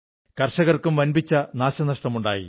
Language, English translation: Malayalam, Farmers also suffered heavy losses